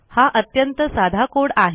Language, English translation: Marathi, So obviously, this is a very simple code